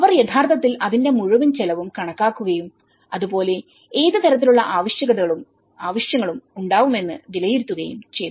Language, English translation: Malayalam, So, they have actually calculated the whole expenditure of it and as well as what kind of requirement and needs assessment has been done